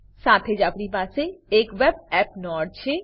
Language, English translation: Gujarati, We also have a web app node